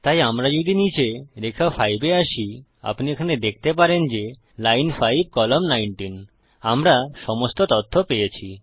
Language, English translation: Bengali, So if we come down to line 5 you can see here that is line 5 column 19 (Ln5, Col19) we get all the information